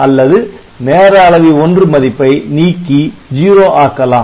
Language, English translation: Tamil, So, or the timer 1 can be cleared to 0